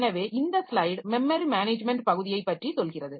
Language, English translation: Tamil, So, this slide is telling us like for a memory management part